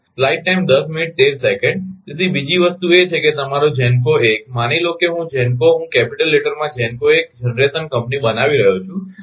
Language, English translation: Gujarati, So, another thing is that your GENCO 1 suppose GENCO I am making in capital letter GENCO 1 generation company 1